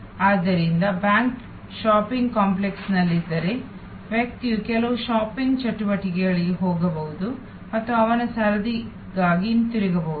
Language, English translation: Kannada, So, if the bank is located in a shopping complex, the person may go for some shopping activities and come back for his or her turn